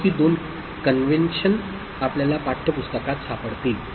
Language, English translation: Marathi, So, these are the two conventions we will find in the textbook